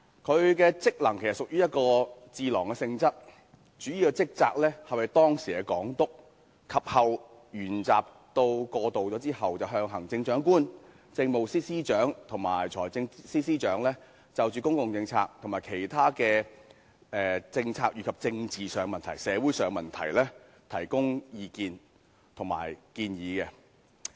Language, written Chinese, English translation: Cantonese, 它的職能其實屬於智囊性質，主要職責是為當時的港督，而於回歸後，則為行政長官、政務司司長和財政司司長，就公共政策和其他政策及政治和社會問題，提供意見及建議。, It actually functions as a think tank in nature . Back then its principal duty was to provide the then Governor of Hong Kong and since the reunification the Chief Executive the Chief Secretary for Administration and the Financial Secretary with advice and recommendations on public policy and other policies as well as political and social issues